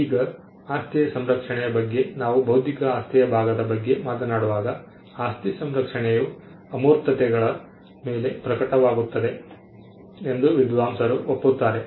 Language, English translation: Kannada, Now, scholars are in agreement that the property protection, when we talk about the property part of intellectual property, the property protection manifests on intangibles